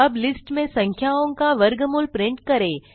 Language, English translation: Hindi, Print the square root of numbers in the list